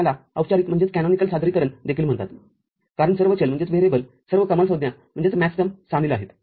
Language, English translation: Marathi, So, this is also called canonical representation because all the variables all the maxterms are involved